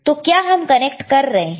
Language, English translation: Hindi, So, what we are connecting